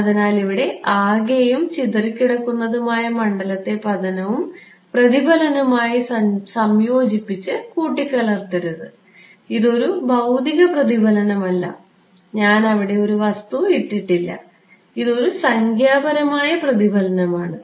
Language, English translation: Malayalam, So, do not mix up total and scattered field here with the incident and reflected, this is not a physical reflection, I am not put a material over there right, this is a numerical reflection ok